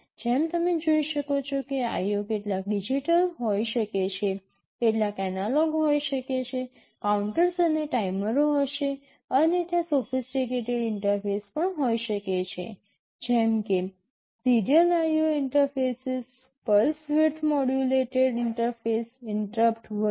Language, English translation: Gujarati, As you can see some of the IO can be digital, some may be analog; there will be counters and timers, and there can be sophisticated kinds of interface also, like serial IO interfaces, pulse width modulated interfaces, interrupt etc